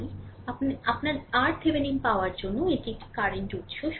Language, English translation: Bengali, Therefore for the your getting your R thevenin, this there is a current source